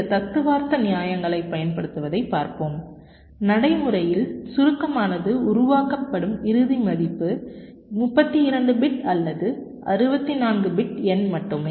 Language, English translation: Tamil, well, we shall see, using some theoretical justification, that practically compaction is done in such a way that the final value that is generated is just a thirty two bit or sixty four bit number